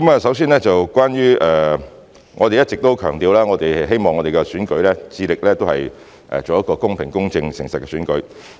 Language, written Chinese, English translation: Cantonese, 首先，我們一直也強調並致力希望我們的選舉是一個公平、公正及誠實的選舉。, To begin with we have always emphasized and are committed to making efforts in the hope that our elections are conducted in a fair impartial and honest manner